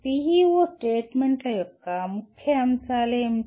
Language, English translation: Telugu, What are the key elements of PEO statements